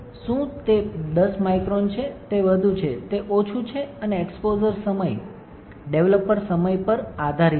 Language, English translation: Gujarati, Is it 10 microns, it is more; it is less that depends on the exposure time, developer time